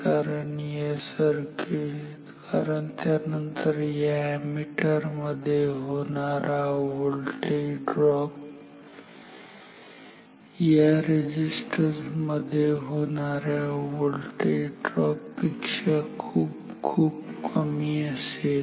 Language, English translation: Marathi, So, because then the voltage drop across the ammeter is much lower compared to the voltage drop across this resistance